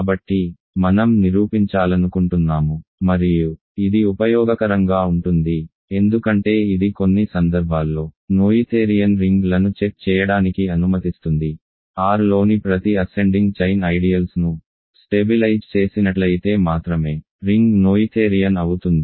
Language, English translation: Telugu, So, the proposition that I want to prove and this is useful because it will allow us to check noetherian rings in some cases is that, a ring is noetherian if and only if every ascending chain of ideals in R stabilizes ok